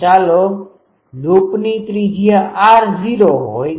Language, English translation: Gujarati, So, let the radius of the loop is r naught